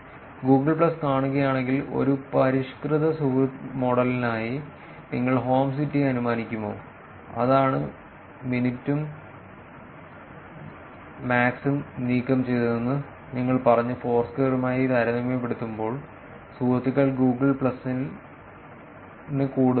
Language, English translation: Malayalam, So, if you see Google plus there is if you will infer the home city for a refined friend model, which is what we said where the min and the max were removed Google plus seems to be doing much better than the added advantage of removing these friends is higher for Google plus compare to Foursquare